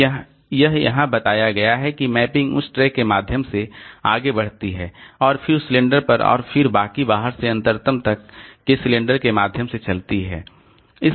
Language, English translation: Hindi, So, this is what is told here that mapping proceeds in order through that track and then rest of the tracks on that in that cylinder and then through the rest of the cylinders from outermost to innermost